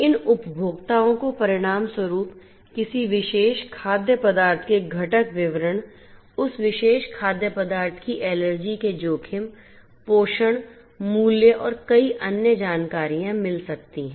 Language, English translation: Hindi, These consumers consequently can get information about the ingredient details of a particular food item, allergens exposure of that particular food item, nutrition, value and many different other Information